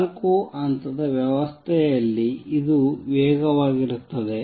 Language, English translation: Kannada, In a four level system, this is fast